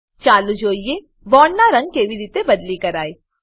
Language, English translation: Gujarati, Lets see how to change the color of bonds